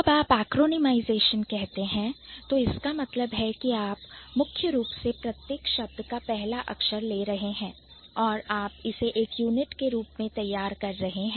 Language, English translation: Hindi, So, when you say acronymization, that means you are primarily what you are doing, you are taking the first letter of each word and you are producing it as a unit